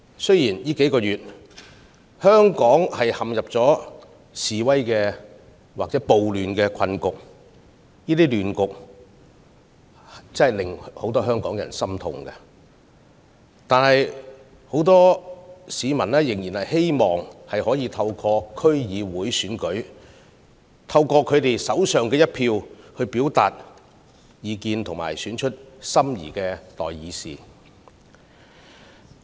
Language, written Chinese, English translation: Cantonese, 雖然過去數個月，香港陷入了示威或暴亂的困局，令很多香港人心痛，但很多市民仍然希望可以在區議會選舉中，透過自己手上的一票表達意見，選出心儀的代議士。, Even though the predicament of protests or social disturbance over the past few months in Hong Kong is heart - wrenching to many Hong Kong people many of them are still eager to express their views and elect their desired representatives by casting their votes in the DC Election